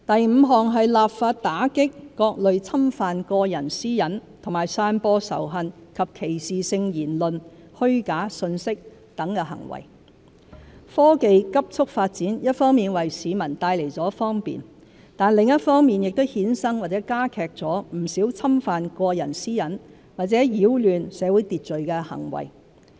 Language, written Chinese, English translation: Cantonese, 五立法打擊各類侵犯個人私隱和散播仇恨及歧視性言論、虛假信息等行為科技急速發展一方面為市民帶來方便，另一方面亦衍生或加劇了不少侵犯個人私隱或擾亂社會秩序的行為。, 5 Enactment of legislation to combat acts of intrusion of privacy and dissemination of hate speech discriminatory remarks or false information While the rapid development of technology brings convenience to our daily lives it has caused or aggravated the intrusion of privacy or disturbance of social order